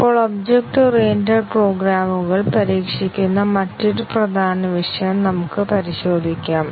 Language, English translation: Malayalam, Now, let us look at another important topic in testing which is testing object oriented programs